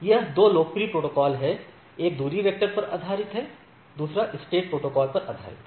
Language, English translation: Hindi, So, these are 2 popular protocol; one is based on distance vector, another is based on a link state protocol right